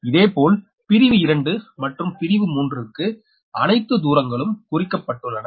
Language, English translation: Tamil, similarly, for section two and section three, all the distances are marked